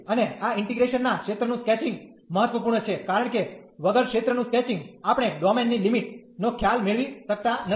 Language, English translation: Gujarati, And the sketch of region of this integration is important, because without sketching the region we cannot get the idea of the limits of the domain